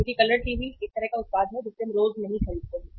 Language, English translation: Hindi, Because colour TV is a kind of product which we do not buy everyday